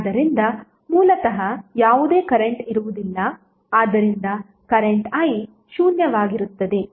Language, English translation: Kannada, So there would be basically no current so current i would be zero